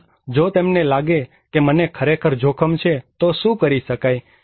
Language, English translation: Gujarati, Also, if they find that, I am really at risk what can be done